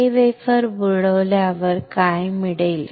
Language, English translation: Marathi, When we dip this wafer what will get